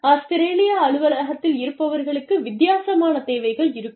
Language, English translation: Tamil, People sitting in the office, in Australia, will have a different set of needs